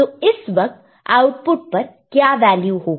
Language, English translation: Hindi, So, at that time what will be the value of the output